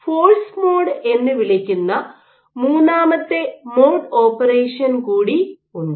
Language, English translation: Malayalam, There is a third mode of operation which is called the force mode